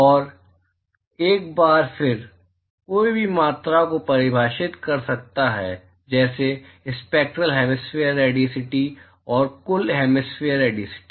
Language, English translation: Hindi, And once again, one could define quantities like, Spectral hemispherical radiosity and Total hemispherical radiosity